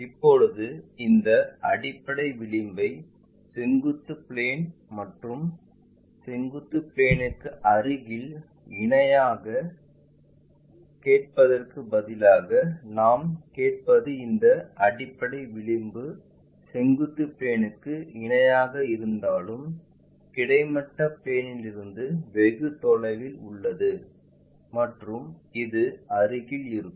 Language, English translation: Tamil, Now, instead of asking these base edge parallel to vertical plane and near to vertical plane what we will ask is if this base edge is parallel to vertical plane, but far away from horizontal plane where this one will be near to that